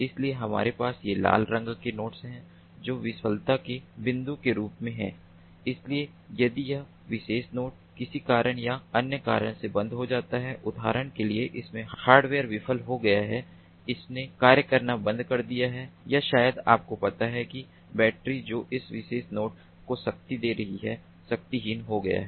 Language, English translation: Hindi, so we have these red colored nodes as points of failure, because if this particular node dies for one reason or other for example, the hardware in it has failed, it has stopped functioning, or maybe that, ah, ah, maybe, ah, the you know the battery, battery that was powering that particular node it is exhausted